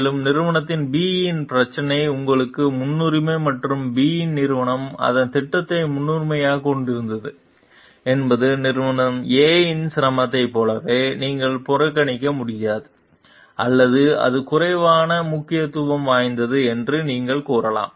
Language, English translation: Tamil, And company B s problem is a priority to you and company B had its project as priority does not mean like the company s A difficulty you can ignore or you can tell it is less important